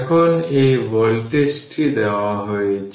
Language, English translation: Bengali, Now, this voltage is given